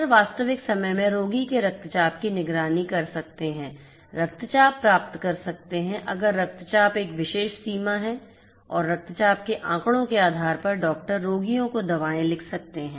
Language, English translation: Hindi, Doctors can monitor the patient’s blood pressure in real time; can get alerts if the blood pressure process a particular threshold and doctors can depending on the blood pressure data, the doctors can prescribe medicines to the patients